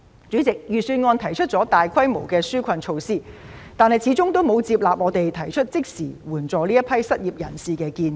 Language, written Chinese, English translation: Cantonese, 主席，預算案提出了多項紓困措施，但始終沒有接納我們提出的即時援助失業人士的建議。, President the Budget proposes a number of relief measures but our proposal on immediate assistance to the unemployed has not been accepted